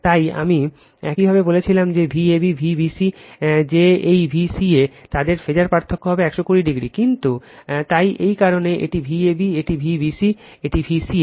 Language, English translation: Bengali, So, I told you that V a b, V b c that this V c a, their phase difference will be 120 degree right, but the so that is why this is V a b, this is V b c, this is V ca